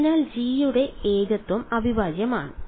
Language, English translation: Malayalam, So, the singularity of g is integrable